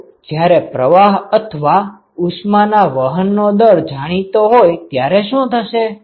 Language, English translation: Gujarati, What if all the fluxes are known or the rate heat transport rate is known